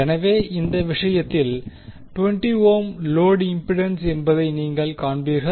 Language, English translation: Tamil, So, in this case, you will see that the 20 ohm is the load impedance